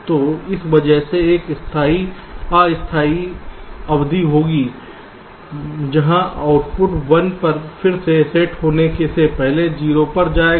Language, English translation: Hindi, so because of this, there will be a temporary period where the output will go to zero before again settling back to one